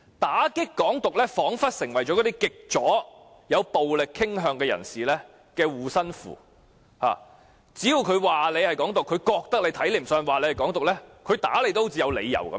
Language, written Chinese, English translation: Cantonese, 打擊"港獨"彷彿已成為極左及有暴力傾向人士的護身符，只要他們認為某人鼓吹"港獨"，令他們看不順眼，便有理由打人。, It seems that the excuse of anti - independence has provided these extreme leftists who are prone to violence with an amulet so that they have every good reason to beat up anyone whom they dislike and regard as an advocate of Hong Kong independence